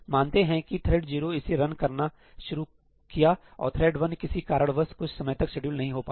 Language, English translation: Hindi, let us say, thread 0 starts running this and then thread 1 for some reason is not able to get scheduled for some time